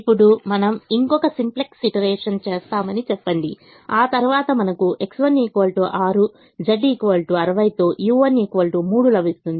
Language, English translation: Telugu, now let us say we do one more simplex iteration, after which we get x one equal to six, u one equal to three with z equal to sixty